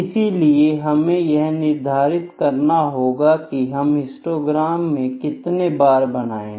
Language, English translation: Hindi, Then we need to fix the number of bars, that we that we used to draw the histogram